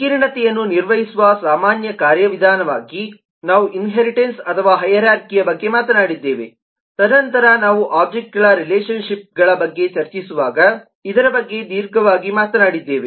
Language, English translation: Kannada, we have talked about inheritance, or hierarchy, as a general mechanism of a managing complexity, and then we have talked about this in length while discussing about relationships of objects